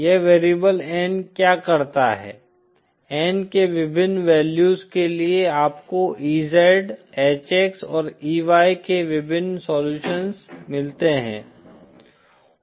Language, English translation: Hindi, What this variable N does is, for different values of N you get different solutions of EZ, HX and EY